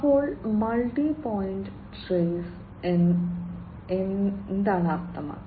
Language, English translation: Malayalam, So, multi point trace means what